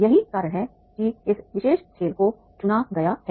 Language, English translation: Hindi, That's why this particular game has been selected